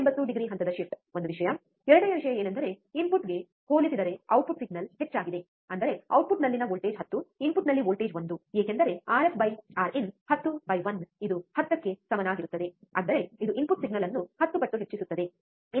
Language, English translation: Kannada, 180 degree phase shift, one thing, second thing was that the output signal is higher compared to the input, that is the voltage at output is 10, voltage at input is 1, because R f by R in R f by R in is nothing but 10 by 1 which is equals to 10; that means, it will amplify by 10 times the input signal